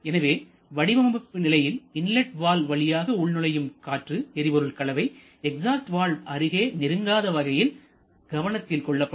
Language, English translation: Tamil, Therefore during the design stage it is kept into consideration that the inlet valve or SOI the fuel air mixture coming through the inlet valve should not be able to reach the exhaust valve directly